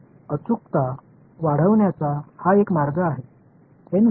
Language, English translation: Marathi, So, that is one way of increasing the accuracy increase N